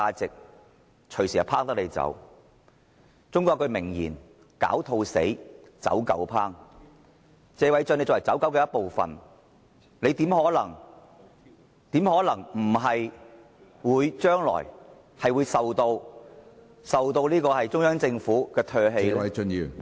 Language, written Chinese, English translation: Cantonese, 中國有一句名言："狡兔死，走狗烹"，謝偉俊議員作為"走狗"的一部分，他又怎可能避免在將來被中央政府唾棄呢？, As a Chinese proverb goes after the hares are killed the running dogs will be cooked . Being one of the running dogs in the group how can Mr Paul TSE escape the fate that he will one day be discarded by the Central Government at last?